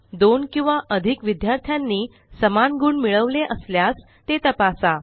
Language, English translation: Marathi, Check also if two or more students have scored equal marks